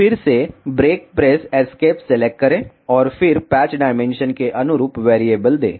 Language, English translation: Hindi, Again select break press escape and then give variable corresponding to the patch dimension